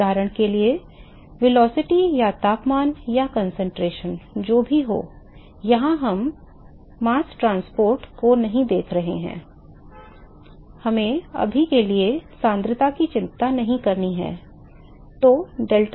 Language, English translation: Hindi, For example velocity or temperature or concentration whatever, here we are not looking at mass transport let us not worry about concentration for now